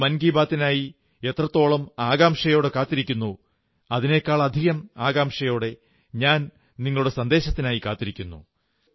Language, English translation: Malayalam, Much as you wait for Mann ki Baat, I await your messages with greater eagerness